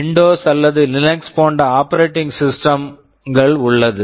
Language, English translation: Tamil, There is an operating system like Windows or Linux, they are fairly complicated program